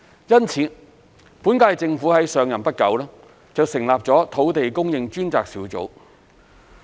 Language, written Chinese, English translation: Cantonese, 因此，本屆政府上任不久，便成立了土地供應專責小組。, Thus shortly after the current - term Government took office the Task Force on Land Supply was established